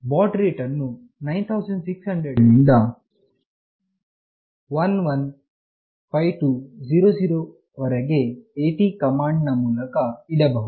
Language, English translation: Kannada, The baud rate can be configured from 9600 to 115200 through AT commands